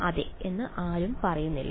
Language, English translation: Malayalam, I get one no anyone saying yes